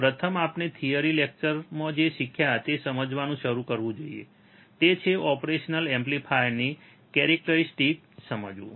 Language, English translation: Gujarati, First we should start understanding what we have learned in the theory class; that is, understanding the characteristics of an operational amplifier